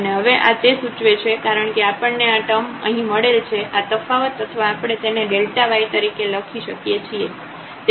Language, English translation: Gujarati, And, now this implies because we got this expression here that this difference or this is we can also call like delta y